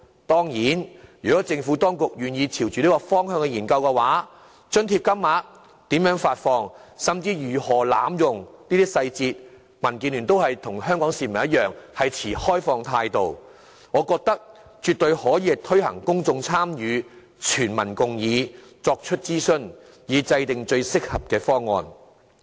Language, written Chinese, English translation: Cantonese, 當然，如果政府當局願意朝着這個方向去研究津貼金額、如何發放，甚至如何防止濫用津貼等的相關細節的話，民建聯與香港市民同樣會持開放態度，我認為絕對可以作出諮詢，邀請公眾參與，取得全民共議，以制訂最合適的方案。, And certainly if the Government is willing to study the relevant details such as the amount of rental allowances to be granted how the allowances will be granted and even how to prevent abuse of the allowances DAB will just like the Hong Kong people remain open to this issue . I think consultation is absolutely advisable . The Government should engage the public to forge general consensus and work out the most appropriate option